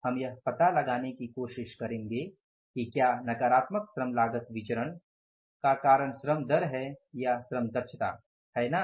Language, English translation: Hindi, We will try to find out whether the labor rate has caused this negative variance, labor cost variance or labor efficiency or both